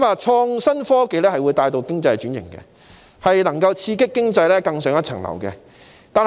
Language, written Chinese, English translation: Cantonese, 創新科技能夠帶動經濟轉型，刺激經濟更上一層樓。, IT can drive economic transformation and stimulate economic upgrading